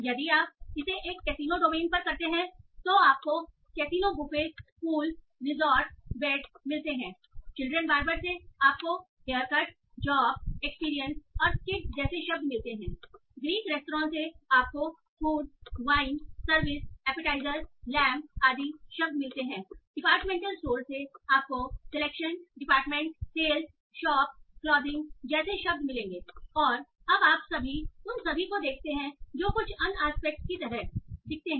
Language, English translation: Hindi, So if you do it on the casino domain, you find casino, buffet, pool, resort, beds, children's barber, you will get like hair cut, job, experience, kids, Greek restaurant, food, wine, service, appetizer, lamb, department store you will get words like selection department, sales, shop clothing